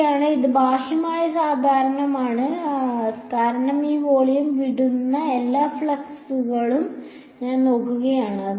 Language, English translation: Malayalam, n 1 right this is the outward normal, because I am looking at all the flux that is leaving this volume